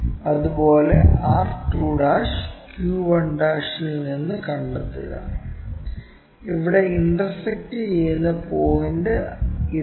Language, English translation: Malayalam, Similarly, locate from q1' r2'; if we are seeing this is the point what is intersecting